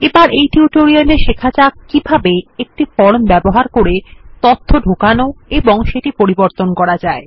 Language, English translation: Bengali, In this tutorial, we will learn how to Enter and update data in a form